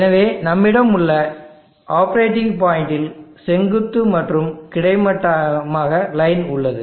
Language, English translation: Tamil, So let us have a representative operating point line here having the vertical and horizontal